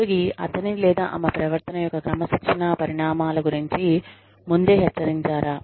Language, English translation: Telugu, Was the employee, fore warned of the disciplinary consequences, of his or her conduct